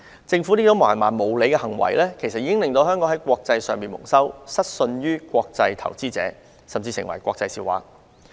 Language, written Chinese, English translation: Cantonese, 政府這種蠻橫無理的行為，已令香港在國際社會蒙羞，失信於國際投資者，甚至成為國際笑話。, This rude and unreasonable action has brought shame to Hong Kong internationally and reduced the credibility of Hong Kong among international investors; worst still it made Hong Kong an international laughing stock